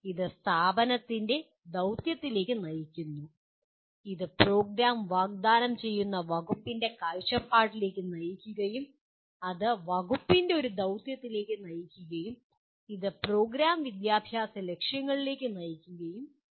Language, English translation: Malayalam, It leads to mission of the institute together lead to vision of the department which is offering the program and that leads to a mission of the department and this leads to Program Educational Objectives